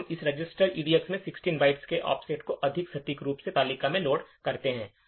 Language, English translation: Hindi, Then we load an offset in the table more precisely an offset of 16 bytes in the table into this register EDX